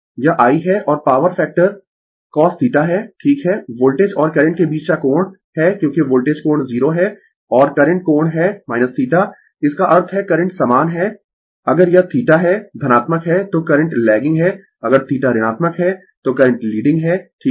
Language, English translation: Hindi, This is I and power factor is cos theta, right is the angle between the voltage and current because voltage angle is 0 and current angle is minus theta; that means, current is same if it is theta is positive then current is lagging if theta is negative then current is leading right